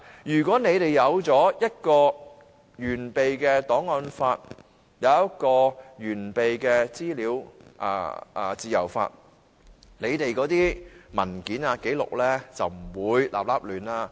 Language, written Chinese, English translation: Cantonese, 如果一套完備的檔案法和一套完備的資訊自由法，政府的文件和紀錄便不會亂七八糟。, If there is a complete set of archives law and a complete set of legislation on freedom of information the government documents and records will not be so messy